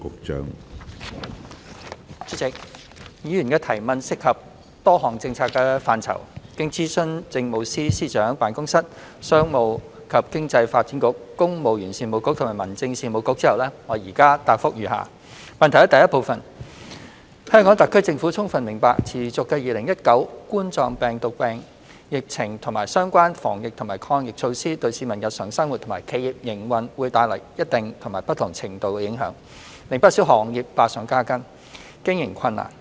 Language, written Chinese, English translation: Cantonese, 主席，議員的質詢涉及多項政策範疇，經諮詢政務司司長辦公室、商務及經濟發展局、公務員事務局及民政事務局後，我現答覆如下：一香港特區政府充分明白持續的2019冠狀病毒病疫情和相關防疫及抗疫措施對市民日常生活及企業營運會帶來一定及不同程度的影響，令不少行業百上加斤，經營困難。, President the question raised by the Member involves a number of policy purviews . Having consulted the Chief Secretary for Administrations Office Commerce and Economic Development Bureau Civil Service Bureau and Home Affairs Bureau my reply is as follows 1 The Hong Kong Special Administrative Region Government fully understands that the persistent COVID - 19 epidemic and relevant anti - epidemic measures have created certain and different extent of impact upon the daily lives of individuals and operation of enterprises . These have added considerable burden and caused operating difficulties to various sectors